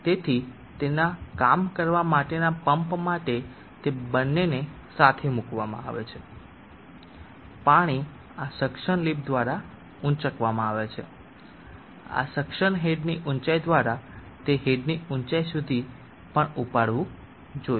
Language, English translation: Gujarati, So for the pump for it do work it is both put together water as to lifted through this suction lift, through this suction head height, it should also get lifted up through the discharged head height